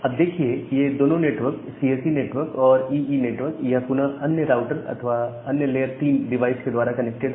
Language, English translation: Hindi, Now, these 2 network, the CSE network and the EE network, they are again connected via another router or another layer 3 devices